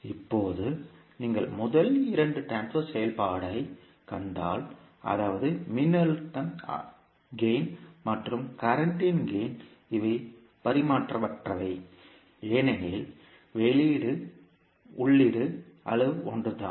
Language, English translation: Tamil, Now if you see the first two transfer function, that is voltage gain and the current gain, these are dimensionless because the output an input quantities are the same